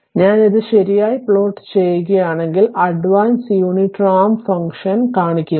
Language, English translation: Malayalam, So, if you if you plot it right, so shows the advance unit ramp function